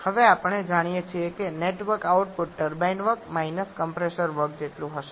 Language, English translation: Gujarati, Now we know that the net work output will be equal to the turbine work minus compressor work